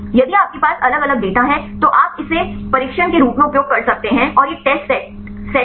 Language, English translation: Hindi, If you have the different data, you can use this as training and these are the test set